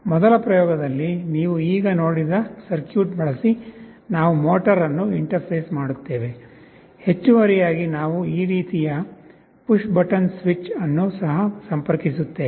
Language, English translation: Kannada, In the first experiment, we interface the motor using the circuit that you have just now seen; in addition, we are also interfacing a push button switch like this